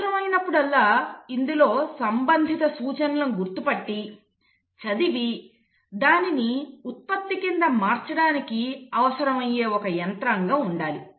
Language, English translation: Telugu, And then there has to be a mechanism which needs to, as and when the need is, to pick up the relevant instructions, read it and then convert it into a product